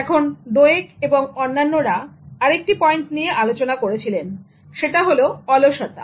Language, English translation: Bengali, Now, Dweck and others also point out another interesting thing about laziness